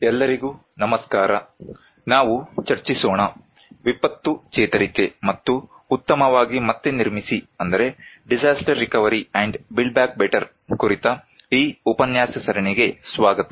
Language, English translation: Kannada, Hello everyone, we will discuss, welcome to this lecture series on disaster recovery and build back better